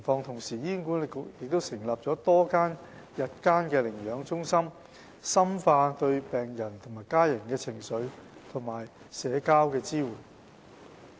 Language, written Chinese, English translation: Cantonese, 同時，醫管局成立了多間日間寧養中心，深化對病者和家人的情緒及社交支援。, At the same time HA has set up various Palliative Day Care Centres to strengthen the emotional and psychosocial support for patients and their families